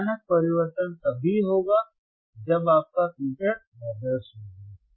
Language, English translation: Hindi, Sudden change will be there only when your filter is ideal your filter is ideal